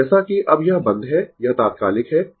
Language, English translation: Hindi, So, as ah now it is closed; that is instantaneous